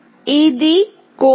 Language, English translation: Telugu, This is the code